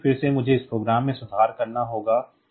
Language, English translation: Hindi, So, again I have to make this correction in this program